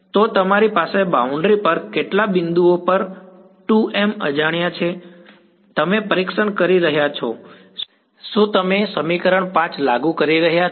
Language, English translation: Gujarati, So, you have 2 m unknowns at how many points on the boundary are you testing are you enforcing equation 5